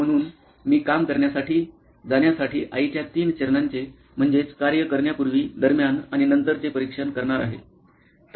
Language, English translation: Marathi, So, I am going to examine three phases of mom riding to work one is before, during and after